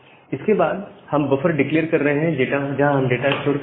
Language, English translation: Hindi, Then after that we are declaring the buffer where we will store the data